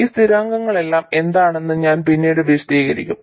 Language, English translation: Malayalam, I will later explain what all these constants are